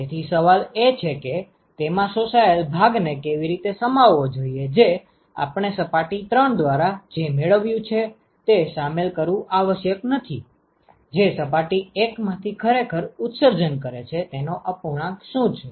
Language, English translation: Gujarati, So, the question is how does it include the absorbed part we do not have to include that right whatever is received by let us say surface 3 is essentially what is a fraction of what is actually emitted net emission from surface 1